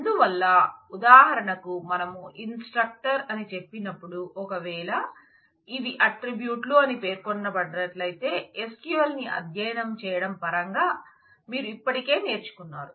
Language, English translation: Telugu, So, when we say instructive for example, if we say here these are my attributes you have already learned this in terms of studying SQL